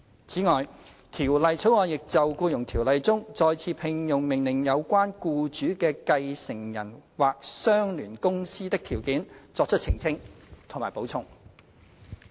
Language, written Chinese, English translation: Cantonese, 此外，《條例草案》亦就《僱傭條例》中，再次聘用命令有關僱主的繼承人或相聯公司的條件，作出澄清及補充。, In addition the Bill also clarifies and supplements the provisions in the Ordinance regarding the conditions of the employers successor or associated company under an order for re - engagement